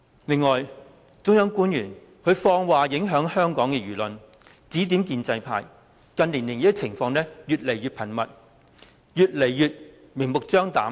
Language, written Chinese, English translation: Cantonese, 此外，中央官員放話影響香港的輿論，指點建制派，這些情況近年來越來越頻密，越來越明目張膽。, In addition officials of the Central Authorities made comments to influence public opinion in Hong Kong . Their advice to the pro - establishment camp has become increasingly frequent and blatant